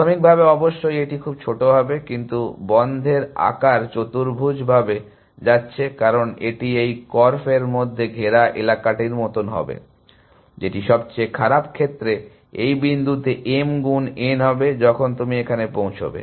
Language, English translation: Bengali, Initially of course, it will be very small, but the size of closed is going quadractically, because that is would like the area, which is enclosed in this korf, which is m into n in the worst case at that point, when you reach there